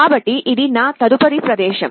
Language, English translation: Telugu, So, this is my next point